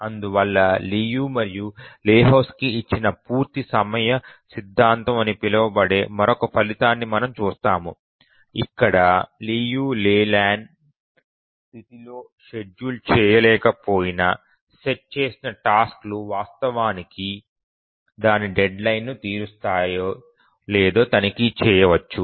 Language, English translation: Telugu, So we'll look at another result called as the completion time theorem given by Liu and Lahotsky where we can check if the task set will actually meet its deadline even if it is not schedulable in the Liu Leyland condition